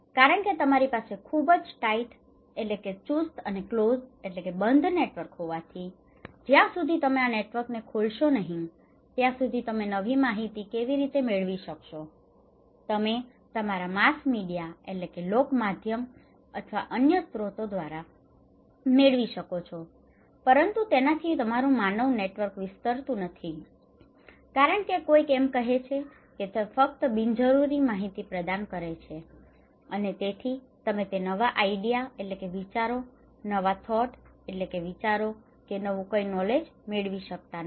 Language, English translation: Gujarati, Because you have a very tight network and this network is closed, unless you open this network how come you get the informations of course, you can get through mass media or other sources but human network is not expanding so, somebody as saying that it provides only unnecessary redundant informations and it prohibits to bring new ideas, new thoughts, new knowledge okay